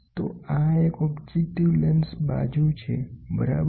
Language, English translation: Gujarati, So, this is objective lens side, objective lens side, ok